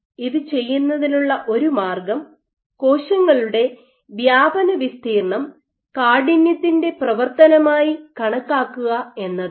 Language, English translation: Malayalam, So, one of the ways of doing it, one of the ways of doing it is actually to measure the cells spread area as a function of stiffness